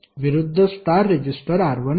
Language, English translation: Marathi, The opposite star resistor is R1